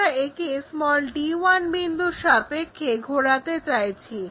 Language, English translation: Bengali, What we want is rotate this around d 1